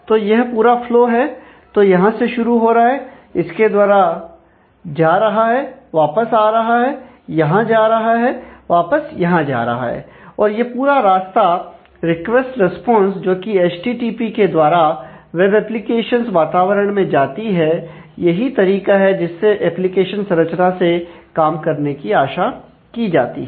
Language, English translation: Hindi, So, this is a complete flow of starting from here, going through this, coming back, going here, going back here, is the is the whole route of the request, response that goes over the HTTP in a typical web or application scenario, that is the there is a way this application architecture is expected to work